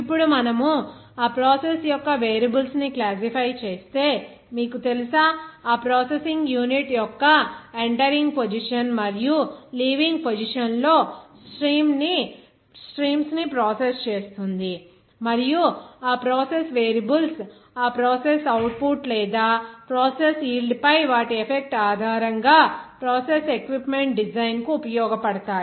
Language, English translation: Telugu, Now, if we classify those variables of that process in a certain way that characterize that, you know, processes streams in the entering and leaving a position of that processing unit and those process variables will be useful for the design of that process equipment based on their effect on that process output or process yield